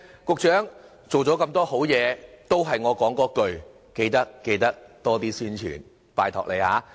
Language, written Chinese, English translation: Cantonese, 局長，做了那麼多好事，仍是我所說的那一句，緊記多做宣傳，拜託你了。, Secretary I know you have already done a lot for us . But I beg you to step up the publicity efforts